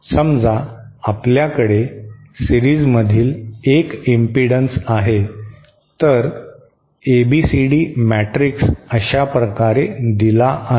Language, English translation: Marathi, Say we have a lumped impedance in series, then it is ABCD matrix is given like this